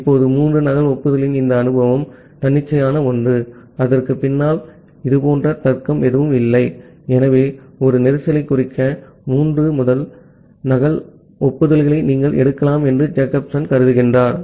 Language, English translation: Tamil, Now, this assumption of three duplicate acknowledgement is something arbitrary, there is as such no logic behind that, so Jacobson assumed that well, you can take three triple duplicate acknowledgement to indicate a congestion